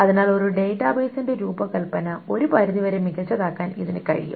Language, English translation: Malayalam, So it can make the design of a database good up to a certain extent